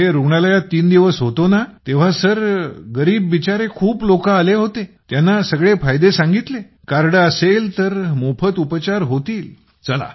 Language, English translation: Marathi, I stayed there for three days in the hospital, Sir, so many poor people came to the hospital and told them about all the facilities ; if there is a card, it will be done for free